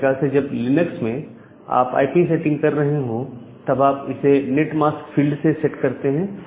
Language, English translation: Hindi, Similarly, whenever you are setting up the things in Linux you can also set it with this net mask field